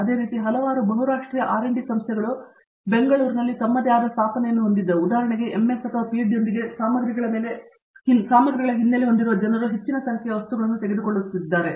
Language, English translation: Kannada, Similarly, a number of Multinational R&D Institutions have come up for example, GE has their own set up in Bangalore, who are taking a large number of materials people with materials background with MS or PhD